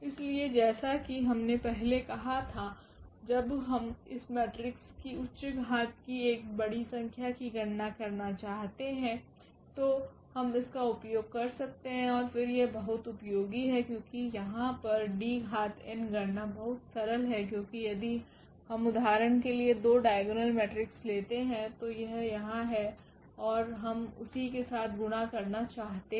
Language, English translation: Hindi, So, we can use as I said before when we want to compute this very high power of this matrix a large number here and then this is very very useful because D power n the computation here is very simple because if we take 2 diagonal matrix for example, this here and we want to multiply with the same